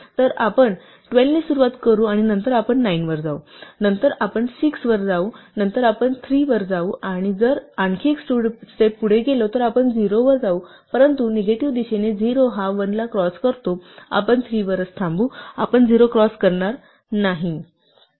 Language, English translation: Marathi, So, we will start with 12 and then we will go to 9, then we will go to 6, then we will go to 3 and if we were to go one more step you would go to 0, but since 0 crosses 1 in the negative direction we would stop at 3 itself, we would not cross over to 0